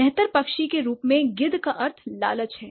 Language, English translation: Hindi, So, a vulture as a scavenger bird has a derived meaning of greed